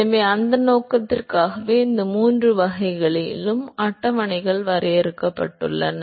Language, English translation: Tamil, So, it is for that purpose the tables have been drawn in these three categories